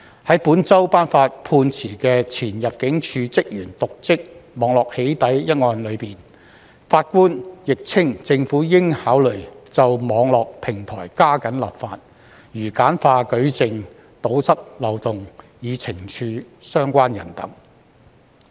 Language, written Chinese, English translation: Cantonese, 在本周判決的前入境事務處職員瀆職網絡"起底"一案中，法官亦稱政府應考慮就網絡平台加緊立法，如簡化舉證，堵塞漏洞，以懲處相關人士等。, In a ruling this week on the case concerning a former Immigration Department staffs dereliction of duty in cyber doxxing the judge also said that the Government should consider legislation on online platforms without delay such as streamlining the evidence producing process and plugging loopholes with a view to punishing the people concerned